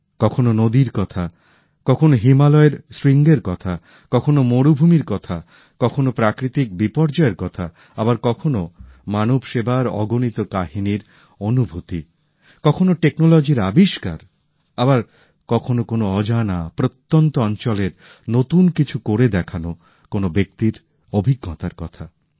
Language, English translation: Bengali, At times, there was reference to rivers; at other times the peaks of the Himalayas were touched upon…sometimes matters pertaining to deserts; at other times taking up natural disasters…sometimes soaking in innumerable stories on service to humanity…in some, inventions in technology; in others, the story of an experience of doing something novel in an unknown corner